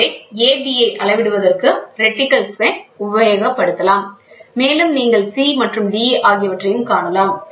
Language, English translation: Tamil, So, you can reticle for measuring a b; so, you can see c and d, ok